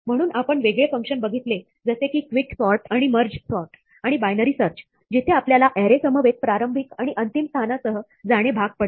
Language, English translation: Marathi, So, we saw various functions like Quick sort and Merge sort and Binary search, where we were forced to pass along with the array the starting position and the ending position